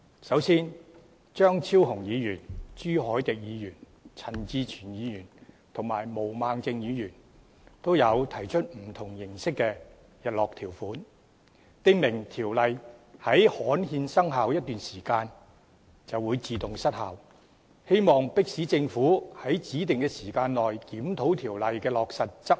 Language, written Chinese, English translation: Cantonese, 首先，張超雄議員、朱凱廸議員、陳志全議員及毛孟靜議員也提出不同形式的日落條款，訂明條例在刊憲生效一段時間後便會自動失效，希望迫使政府在指定時間內檢討條例的落實和執行。, First Dr Fernando CHEUNG Mr CHU Hoi - dick Mr CHAN Chi - chuen and Ms Claudia MO have proposed sunset clauses of various forms providing that the Ordinance will automatically expire after a period of time subsequent to its gazettal and commencement in an attempt to force the Government to review the implementation and enforcement of the Ordinance in a specified time frame